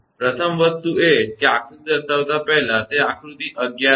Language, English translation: Gujarati, First thing is that before showing the diagram that figure 11 a